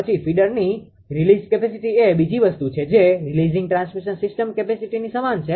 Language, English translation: Gujarati, Then release capacity of the feeder that is another thing the same like a releasing transmission ah system capacity